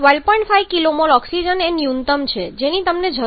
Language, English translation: Gujarati, 5 kilo mole of a oxygen is a minimum that you need